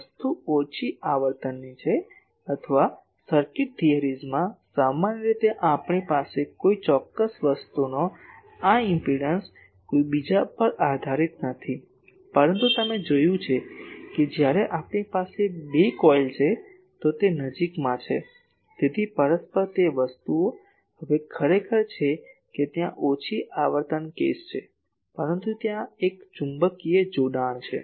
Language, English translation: Gujarati, The thing is in the in the low frequency, or in the circuit theories generally we do not have this impedance of certain thing is not dependent on someone else, but you have seen when we have two coils, then they are nearby so there are mutual things, now actually there are though that is a low frequency case but there is a magnetic coupling